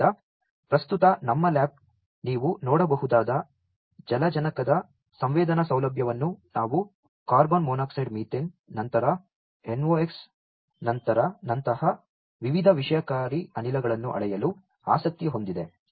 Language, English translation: Kannada, So, at present our lab is interested to measure the sensing facility of hydrogen that you can see and various toxic gases like carbon monoxide methane, then NOx